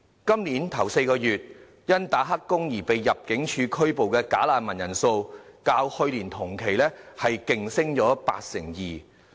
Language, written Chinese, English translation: Cantonese, 今年首4個月，因"打黑工"而被入境處拘捕的"假難民"人數，較去年同期飆升八成二。, During the first four months this year the number of bogus refugees arrested by ImmD for taking illegal work has risen 82 % from the number in the same period of last year